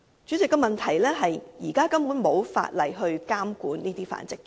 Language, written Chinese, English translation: Cantonese, 主席，問題是現時根本沒有法例監管這些繁殖場。, President the point is there is currently no provision to govern these breeding facilities